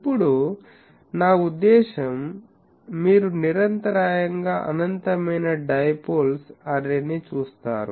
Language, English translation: Telugu, Now, so, you see a continuous, I mean infinite array of dipoles